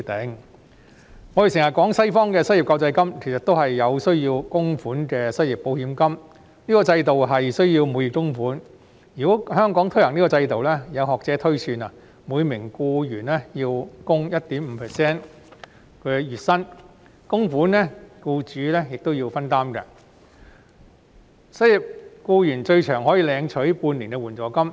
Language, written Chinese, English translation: Cantonese, 我們經常提到西方的失業救濟金，其實亦是需要供款的失業保險金，這個制度需要每月供款，如果香港推行這個制度，有學者推算，每名僱員要供款月薪的 1.5%， 僱主亦要分擔供款，失業僱員最長可領取援助金半年。, The unemployment relief in the West that we often talk about is in fact a contributory unemployment insurance . Monthly contributions have to be made under this system . If such a system is to be implemented in Hong Kong some academics have projected that each employee will have to contribute 1.5 % of the monthly salaries whereas employers are also required to share the contributions